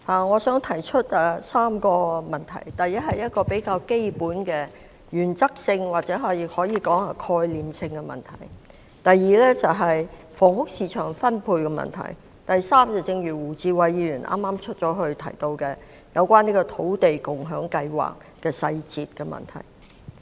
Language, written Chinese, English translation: Cantonese, 我想提出3個問題：第一，是一個比較基本、原則性或可以說是概念性的問題；第二，是房屋市場分配問題；第三，是胡志偉議員——他剛離席——提到的土地共享先導計劃細節的問題。, The first one is related to the basic factor the principle or the conceptual aspect of housing . The second question is about the distribution of the housing market . The third question as mentioned by Mr WU Chi - wai―he has just left the Chamber―is about the details of the Land Sharing Pilot Scheme